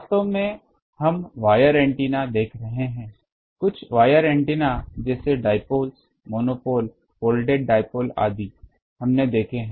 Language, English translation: Hindi, Actually, we were seeing wire antenna; some of the wire antennas like dipoles, monopole folded dipole etc